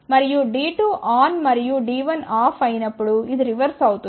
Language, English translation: Telugu, And the reverse will happen when D 2 is on and D 1 is off